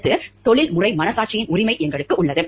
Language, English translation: Tamil, Next, we have the right of professional conscience